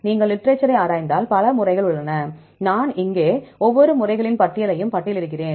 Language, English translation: Tamil, If you look into the literature there are so many methods available, here I list of each set of methods